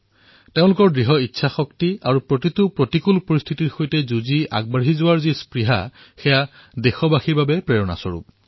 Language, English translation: Assamese, Their grit & determination; their resolve to overcome all odds in the path of success is indeed inspiring for all our countrymen